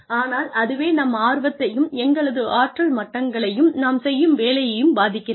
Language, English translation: Tamil, But, it does affect our interest in, and our energy levels with whatever we are doing